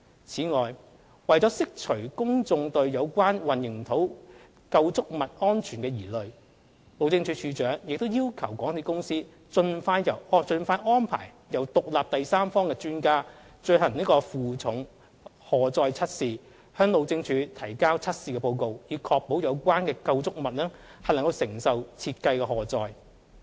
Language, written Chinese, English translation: Cantonese, 此外，為釋除公眾對有關混凝土構築物安全的疑慮，路政署署長亦要求港鐵公司盡快安排由獨立第三方專家進行負重荷載測試，向路政署提交測試報告，以確保有關構築物能承受設計的荷載。, Furthermore to allay public concern about the safety of the concrete structures the Director of Highways demanded MTRCL to arrange an independent third - party expert to conduct a load test as soon as possible and submit a test report to ensure the structures can sustain the design loads